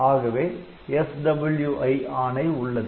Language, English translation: Tamil, So, we have got that SWI instruction